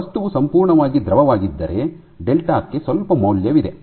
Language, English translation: Kannada, If the material is perfectly fluid then delta has some value